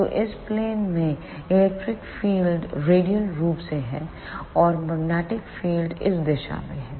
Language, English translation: Hindi, So, electric field is radially in this plane, and magnetic field is in this direction